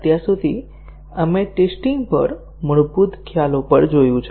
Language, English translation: Gujarati, So far, we have looked at basic concepts on testing